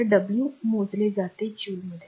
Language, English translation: Marathi, So, the w is measured in joule right